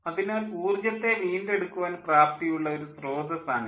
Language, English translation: Malayalam, so this, this is a potential source for recovering energy, for recovering wasted